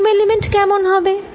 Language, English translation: Bengali, how about the volume element